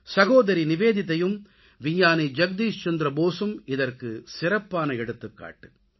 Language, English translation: Tamil, Sister Nivedita and Scientist Jagdish Chandra Basu are a powerful testimony to this